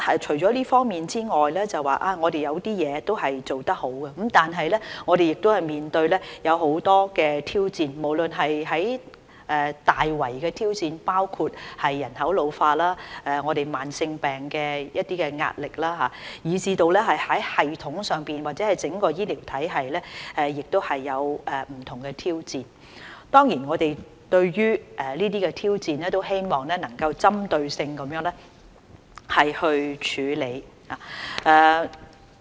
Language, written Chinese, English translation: Cantonese, 除了這方面外，我們有一些地方都做得好，但我們亦面對很多挑戰，無論是大圍的挑戰，包括人口老化、慢性疾病帶來的壓力，以至在系統上或整個醫療體系也面對不同挑戰，我們對於這些挑戰希望能夠作出針對性的處理。, All this aside despite our achievement in some areas we are faced with a plurality of challenges both in a broad sense such as the ageing of the population and the pressure from chronic diseases and in the systemic context or in the overall healthcare system . We hope to possibly address these challenges in a targeted manner